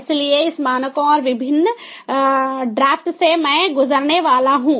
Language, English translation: Hindi, so these standard and the different drafts i am going to go through